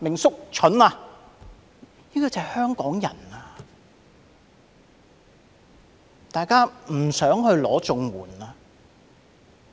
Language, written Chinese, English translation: Cantonese, 是因為香港人不想申領綜援。, This is because Hong Kong people do not want to apply for CSSA